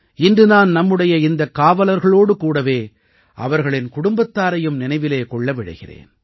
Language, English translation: Tamil, Today I would like to remember these policemen along with their families